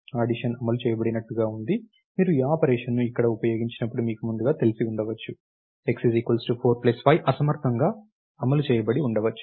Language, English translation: Telugu, Is like the addition being implemented maybe you know first when you use this operation over here, x equal to 4 plus 5 may plus was inefficiently is implemented